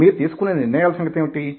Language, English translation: Telugu, what about the decisions you take